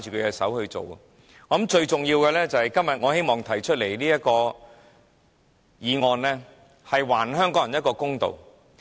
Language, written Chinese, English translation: Cantonese, 因此，我認為最重要的，就是今天我提出這項議案，是希望還香港人一個公道。, For that reason what I consider the most important part is that todays motion moved by me will hopefully give Hong Kong people a fair deal